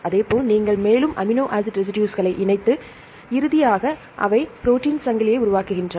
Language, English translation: Tamil, Likewise, you combine more and more amino acid residues and finally, they form the protein chain